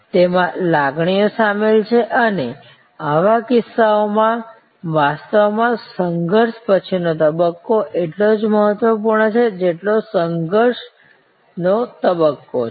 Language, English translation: Gujarati, There are emotions involved and in such cases, actually the post encounter stage is as important as the service encounter stage